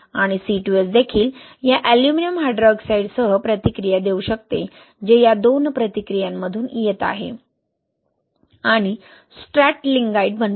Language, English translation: Marathi, And the C2S can also react with this aluminum hydroxide which is coming from these two reactions and form stratlingite